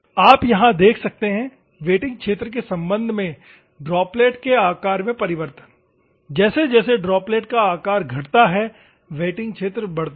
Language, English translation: Hindi, You can see here, droplet size variation with respect to wettings are wetting area as the droplet size decreases, the wetting area increases